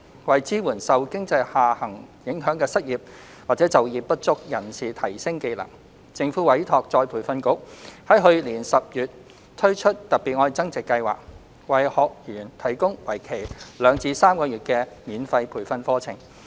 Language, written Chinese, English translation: Cantonese, 為支援受經濟下行影響的失業或就業不足人士提升技能，政府委託再培訓局於去年10月推出"特別.愛增值"計劃，為學員提供為期兩至3個月的免費培訓課程。, To support the unemployed or underemployed affected by the economic downturn for skills enhancement the Government has commissioned ERB to launch the Love Upgrading Special Scheme in October 2019 offering free training courses of around two to three months for trainees